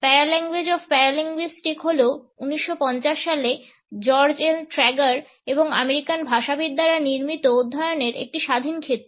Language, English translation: Bengali, Paralanguage of paralinguistics, as an independent field of study was developed by George L Trager and American linguist during the 1950